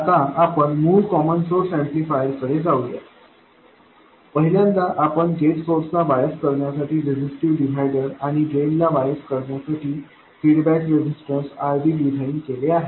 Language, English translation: Marathi, Now let's go back to the original common source amplifier, the first one that we designed with a resistive divider to bias the gate source and drain feedback resistor, RD to bias the drain